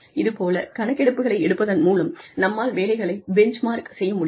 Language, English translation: Tamil, And so, by doing these surveys, we are able to, benchmark jobs